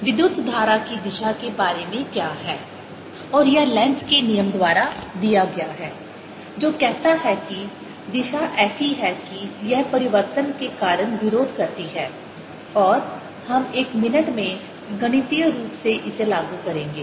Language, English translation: Hindi, and that is given by lenz's law, which says that the direction is such that it opposes because of change, and we'll put that mathematically in a minute